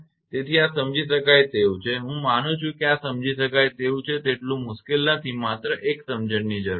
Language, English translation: Gujarati, So, this is understandable I believe this is understandable not much difficult one only understanding is required